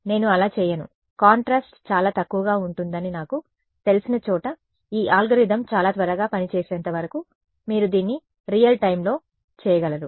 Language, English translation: Telugu, I do not, well for very simple where I know the contrast is going to be very very low then as long as this algorithm works very quickly you could do it in real time